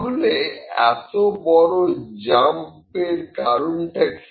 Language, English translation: Bengali, So, why is this big shift